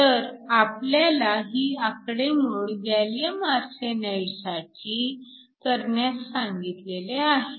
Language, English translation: Marathi, So, we are asked to do this calculation for gallium arsenide